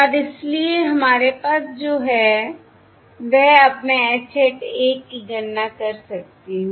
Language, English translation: Hindi, So now, basically, we have calculated the value of H hat 1